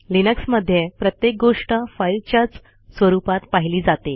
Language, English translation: Marathi, In linux, everything is a file